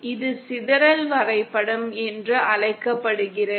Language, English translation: Tamil, This is known as the dispersion diagram